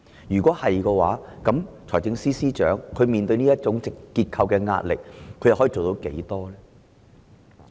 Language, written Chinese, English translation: Cantonese, 如是者，財政司司長面對這種結構性壓力可有多少作為呢？, If so what can the Financial Secretary do under this structural pressure?